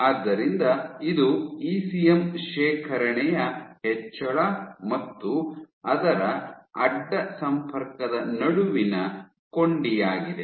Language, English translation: Kannada, So, you have this link between increase in ECM deposition and its cross linking